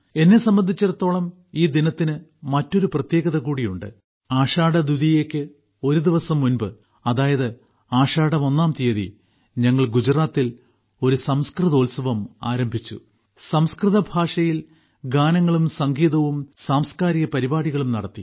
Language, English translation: Malayalam, For me this day is also very special I remember, a day before Ashadha Dwitiya, that is, on the first Tithi of Ashadha, we started a Sanskrit festival in Gujarat, which comprises songs, music and cultural programs in Sanskrit language